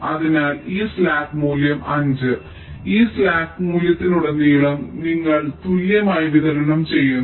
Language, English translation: Malayalam, so this slack value of five you try to distribute among these vertices along the path